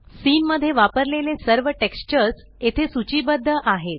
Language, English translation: Marathi, All textures used in the Scene are listed here